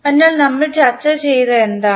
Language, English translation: Malayalam, So, what we discussed